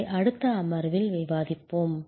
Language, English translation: Tamil, We will discuss that at a subsequent session